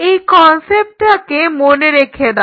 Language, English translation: Bengali, So, keep that concept in mind